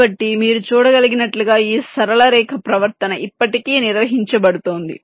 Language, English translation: Telugu, so, as you can see, this straight line behavior is still being maintained, right